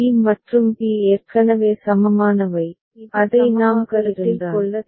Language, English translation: Tamil, b and b are already equivalent, we do not need to consider that